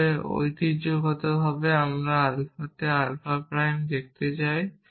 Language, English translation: Bengali, I can unify gamma with alpha, but it traditionally we see alpha prime in alpha